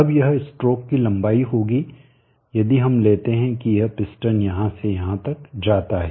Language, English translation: Hindi, Now this would be the stroke line if we take that this piston moves from here to here